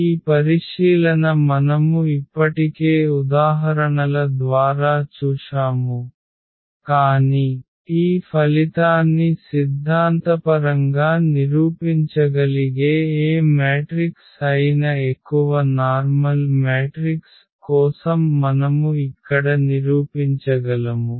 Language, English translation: Telugu, This observation we already have seen for numerical examples, but we can prove here for more general matrix for any matrix we can prove this result theoretically